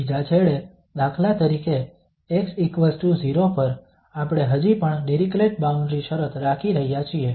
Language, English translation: Gujarati, The second end for instance at x equal to 0, we are still keeping as Dirichlet boundary condition